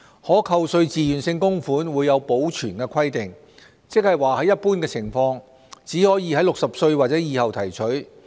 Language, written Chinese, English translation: Cantonese, 可扣稅自願性供款會有保存規定，即在一般情況，只可在65歲或以後提取。, TVCs will be subject to the preservation requirements that means under general circumstances withdrawal is allowed only at or after the age of 65